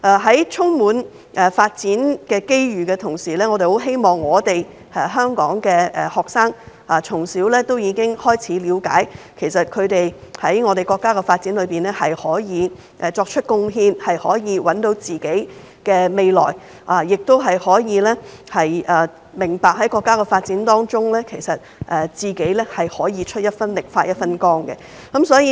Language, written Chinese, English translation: Cantonese, 在充滿發展機遇的同時，我們希望香港學生可以從小了解他們能為國家發展作出貢獻，找到自己的未來，並明白在國家的發展中，可以出一分力、發一分光。, While the future is full of development opportunities we hope that Hong Kong students will understand from an early age that they can contribute to the development of the country identify their own development pathways as well as contribute and shine in the development of the country